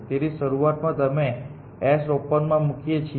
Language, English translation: Gujarati, So, initially we put s on to open